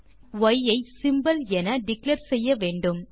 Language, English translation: Tamil, We need to declare y as a symbol